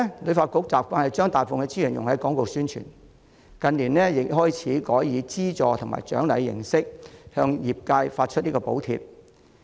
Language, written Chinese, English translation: Cantonese, 旅發局以往慣於將大部分資源用於廣告宣傳，近年亦開始改以資助及獎勵形式向業界發放補貼。, In recent years it has also begun to grant subsidies to the industry in the form of financial support and incentives instead